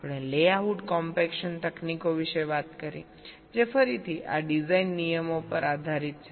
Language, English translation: Gujarati, we talked about layout compaction techniques which are again based on this design rules typically